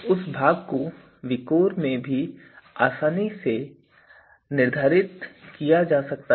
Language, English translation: Hindi, So, that is also you know can be easily determined in VIKOR